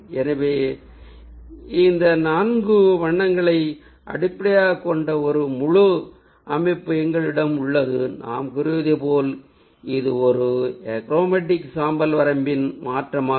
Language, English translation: Tamil, so we have a whole composition based on these four colors, or four or more, and there, as we say, that this is a replacement of a achromatic grey range